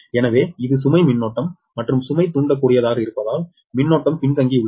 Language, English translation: Tamil, so this is the load current, and current is lagging because load is inductive, right